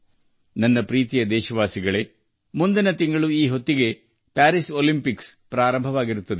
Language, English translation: Kannada, My dear countrymen, by this time next month, the Paris Olympics would have begun